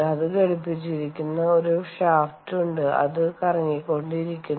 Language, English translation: Malayalam, right, there is a shaft on to which it is attached and it is rotating